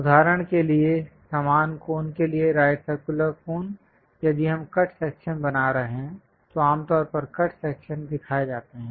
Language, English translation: Hindi, For example, for the same cone the right circular cone; if we are making a cut section, usually cut sections are shown